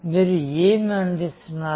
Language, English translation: Telugu, Who are you serving